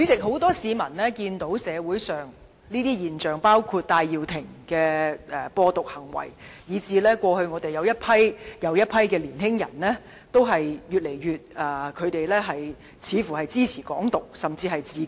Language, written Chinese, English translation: Cantonese, 很多市民見到社會上這些現象，包括戴耀廷的"播獨"行為，以致一批又一批的年輕人越來越支持"港獨"，甚至自決。, Many members of the public have seen such a phenomenon in society including the propagation of Hong Kong independence by Benny TAI resulting in more and more young people supporting Hong Kong independence and even self - determination